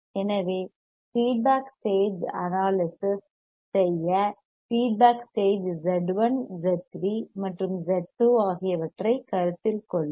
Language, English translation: Tamil, So, to do analysis of the feedback stage, let us consider feedback stage Z1, Z3 and Z2